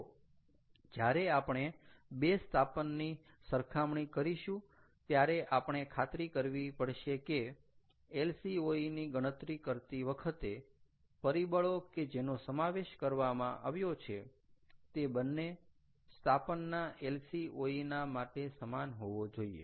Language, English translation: Gujarati, ok, so when we are comparing two installations, we have to make sure that the factors that have been incorporated while calculating lcoe must be the same, for for two lcoe is to be compared